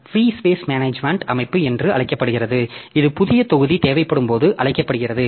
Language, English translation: Tamil, So, so free space management system called a there is called when new block is needed